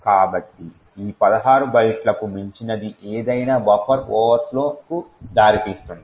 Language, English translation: Telugu, So, anything beyond these 16 bytes would lead to a buffer overflow